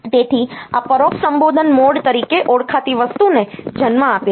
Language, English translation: Gujarati, So, this gives rise to something called the indirect addressing mode